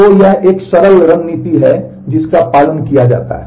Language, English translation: Hindi, So, that is a simple strategy that is followed